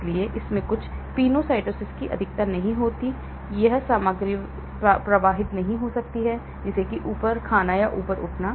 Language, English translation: Hindi, And so it does not have much of these penocytosis happening, so material cannot flow through that is like eating up or gobbling up